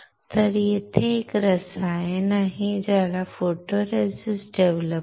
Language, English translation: Marathi, So, there is a chemical here which is called photoresist developer